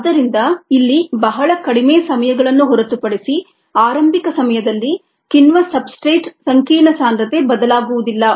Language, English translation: Kannada, ok, so apart from very short times here, early times, the concentration of the enzyme substrate complex does not change